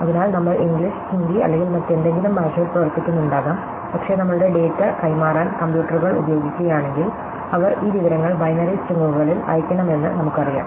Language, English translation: Malayalam, So, we might be working in some language like English, Hindi or whatever, but if were using computers for example, to transmit our data, we know that they must send this information in binary strings